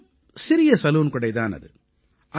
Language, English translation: Tamil, A very small salon